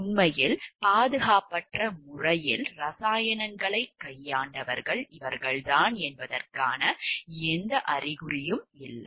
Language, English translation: Tamil, There was no indication that these were the ones who actually handled the chemicals in an unsafe manner